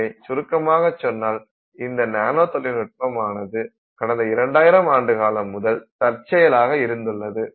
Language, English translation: Tamil, So, in summary, we find that nanotechnology has been around in some incidental form for nearly 2000 years